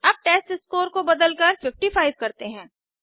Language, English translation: Hindi, Now Let us change the testScore to 55